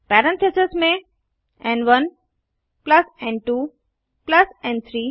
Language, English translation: Hindi, Within parentheses n1 plus n2 plus n3